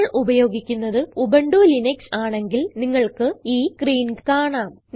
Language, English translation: Malayalam, If you are an Ubuntu Linux user, you will see this screen